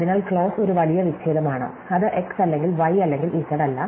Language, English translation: Malayalam, So, a clause is a big disjunction, it is x or not y or z and something